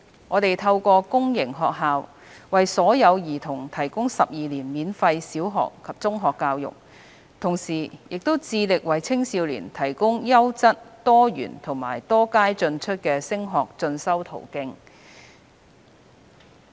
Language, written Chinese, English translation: Cantonese, 我們透過公營學校為所有兒童提供12年免費小學及中學教育，同時致力為青少年提供優質、多元及多階進出的升學進修途徑。, We provide 12 years free primary and secondary education for all children through public sector schools and strived to provide quality and diversified study pathways with multiple entry and exit points for young people